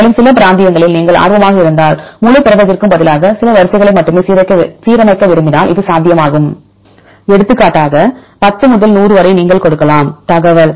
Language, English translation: Tamil, Also it is possible if you want to align only few sequences, instead of the whole protein if you are interested in some regions for example, 10 to 100 then you can also give the information